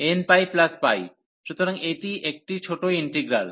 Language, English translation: Bengali, So, n pi plus pi, so this is a smaller integral